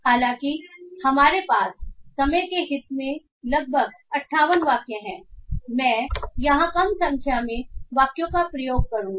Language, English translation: Hindi, So though we have about 58 sentences in the interest of time I will be using a less number of sentences here